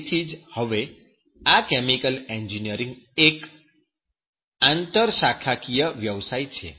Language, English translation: Gujarati, So that is why this chemical engineering now days is the interdisciplinary profession